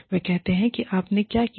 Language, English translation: Hindi, And, they say, what did you do